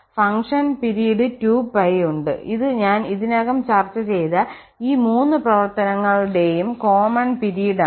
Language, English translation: Malayalam, So, the function has this period 2 pi which is a common period of all these three functions which I have already discussed